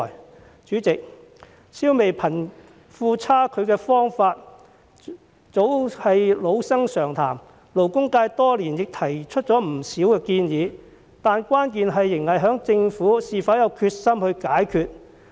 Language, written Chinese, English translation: Cantonese, 代理主席，消弭貧富差距的方法早是老生常談，勞工界多年來亦提出了不少建議，但關鍵仍在於政府是否有決心解決。, Deputy President how to eradicate the disparity between the rich and the poor has become a clichéd topic long since . Over the years the labour sector has advanced a number of proposals but the key still lies in the Governments determination to solve the problem